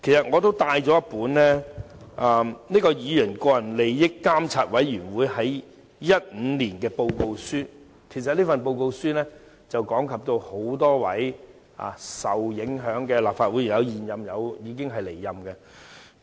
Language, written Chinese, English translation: Cantonese, 我帶來了議員個人利益監察委員會2015年發表的報告書，講及多位受影響的議員，當中有現任亦有離任的。, I have brought with me a report issued by the Committee on Members Interests in 2015 . Several Members were involved including incumbent and former Members